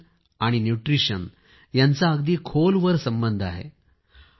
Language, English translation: Marathi, Nation and Nutriti on are very closely interrelated